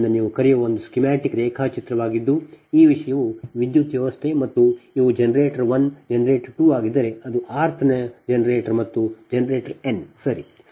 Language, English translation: Kannada, so this is a schematic diagram of your, what you call that, your, if this thing, a power system, right, and these are generator one, generator two, and it is r th generator and generator n